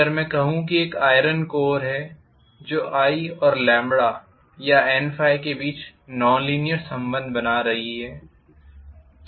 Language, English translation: Hindi, If I say that there is an iron core which is contributing to non linearity between the relationship between i and lambda or N phi